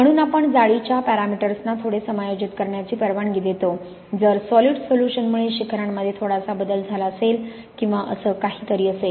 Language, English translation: Marathi, So we allow the lattice parameters to adjust a bit, in case there has been a slight shift in the peaks due to the solid solution or something like that